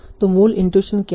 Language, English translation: Hindi, So what is the basic intuition